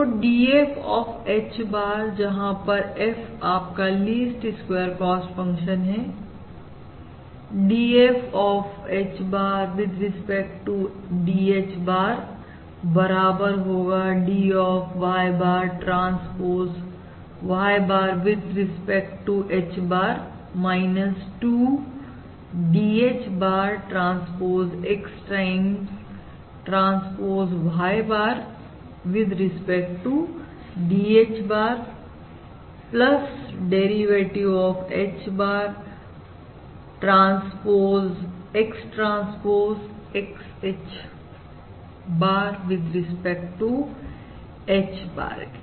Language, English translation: Hindi, So dF of H bar, where F is your least squares cost function, dF of H bar with respect to dH bar is equal to well, I have d of Y bar transpose Y bar with respect to H bar, minus twice d H bar transpose X times transpose Y bar with respect to dH bar plus the derivative of derivative of H bar